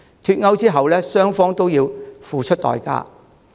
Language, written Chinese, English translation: Cantonese, 脫歐後，英國與歐盟雙方均要付出代價。, Both Britain and EU have a price to pay after Brexit